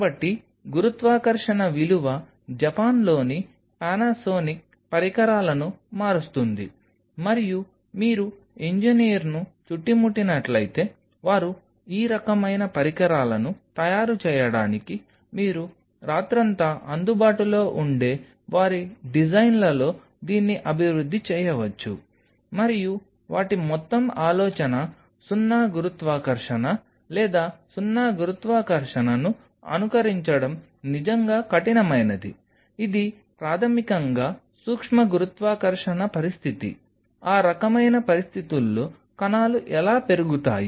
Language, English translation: Telugu, So, the gravity value changes these kind of devices Panasonic in Japan they do make it, and if you have call in engineer surround you they can develop it for in their designs which you are available all night to make this kind of devices, and their whole idea is to simulate zero gravity or zero gravity is tough really to simulate it is basically a micro gravity situation how the cells grows in that kind of situation